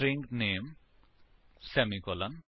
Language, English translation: Punjabi, String name semicolon